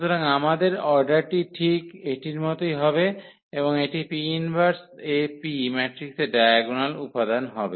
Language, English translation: Bengali, So, our order will remain exactly this one and this will become the diagonal entries of the matrix P inverse AP